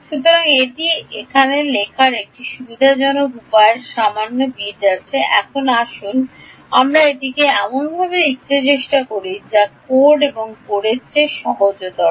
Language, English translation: Bengali, So, there is a little bit of a convenient way of writing this now let us try to write this in a way that is easier to code ok